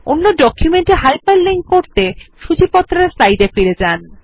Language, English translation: Bengali, To hyperlink to another document, lets go back to the Table of Contents slide